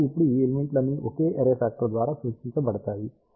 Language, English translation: Telugu, So, all these elements now can be represented by single array factor